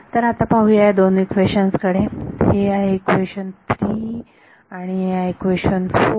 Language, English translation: Marathi, Now let us look at these two equations so this equation 3 and equation 4